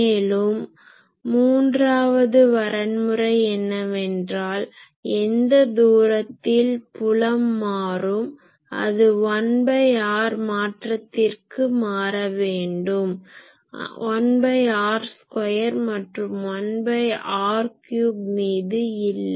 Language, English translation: Tamil, And the third criteria is that the fields, the distance at where the field should vary as 1 by r, predominantly not by 1 by r square or 1 by r cube etc